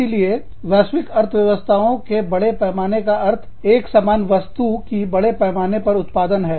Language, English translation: Hindi, So, global economies of scale means, producing larger numbers, of the same product